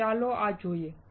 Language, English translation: Gujarati, So, let us see this one